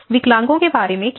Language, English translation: Hindi, What about the disabled people